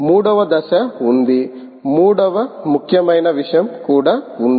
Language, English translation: Telugu, there is a third step